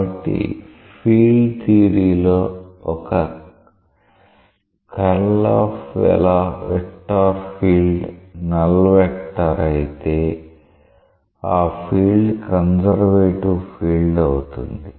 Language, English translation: Telugu, So, in general in field theory if the curl of a particular vector field is a null vector, that field is a conservative field